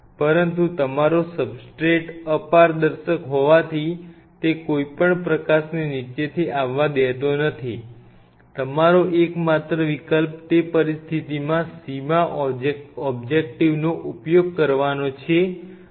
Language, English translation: Gujarati, But since your substrate is opaque it is not allowing any light to come from the bottom your only option is to use an upright objective in that situation